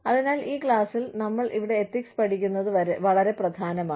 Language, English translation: Malayalam, So, it is very important that, we study ethics, here, in this class